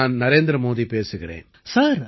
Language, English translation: Tamil, This is Narendra Modi speaking